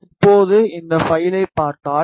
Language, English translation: Tamil, Now, if you see in this file